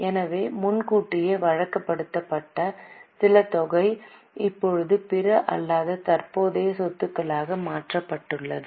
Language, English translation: Tamil, Are you getting so some amount given as advance is now getting converted into other non current asset